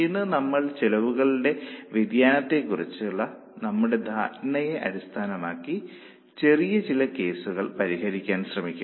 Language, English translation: Malayalam, Today also we will try to solve some small cases based on our understanding of variability of costs